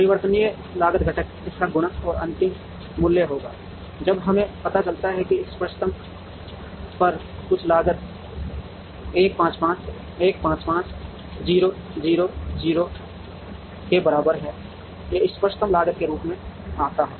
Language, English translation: Hindi, The variable cost component will be the multiplication of these and the final value, when we find out is total cost at the optimum is equal to 1 5 5 1 5 0 0 0 comes as the optimum cost of this